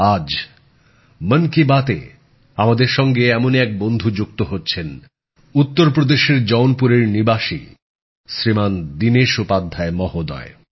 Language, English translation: Bengali, Joining us in Mann Ki Baat today is one such friend Shriman Dinesh Upadhyay ji, resident of Jaunpur, U